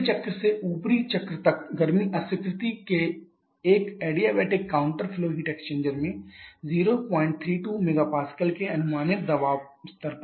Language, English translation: Hindi, Heat rejection from the lower cycle to the upper cycle takes place in an adiabatic counter flow heat exchanger at an approximate pressure level of 0